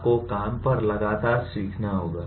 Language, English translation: Hindi, You have to learn continuously on the job